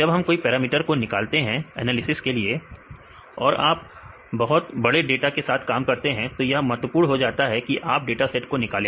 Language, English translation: Hindi, When we derive any parameters right for analysis right if you deal about the large scale data, it is very important to derive the datasets